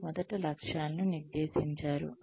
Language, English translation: Telugu, You first set goals and targets